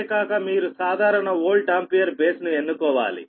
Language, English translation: Telugu, you have to choose a common volt ampere base